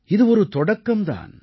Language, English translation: Tamil, And this is just the beginning